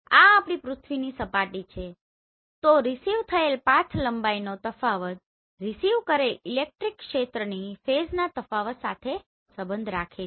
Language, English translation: Gujarati, This is our earth surface so difference between two path length related to the difference in phase of the received electric field